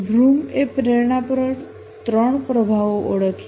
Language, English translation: Gujarati, Vroom identified three influences on motivation